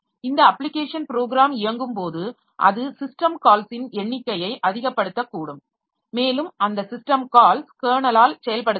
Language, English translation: Tamil, And when this application program is running, it may in turn give rise to number of system calls and those system calls will be executed by the candle